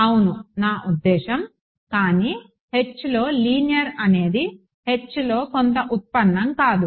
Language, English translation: Telugu, Yeah I mean, but linear in H is not some derivative in H right